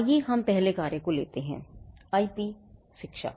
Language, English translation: Hindi, Let us take the first one; IP education